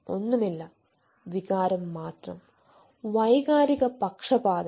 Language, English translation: Malayalam, nothing, only emotion, emotional biases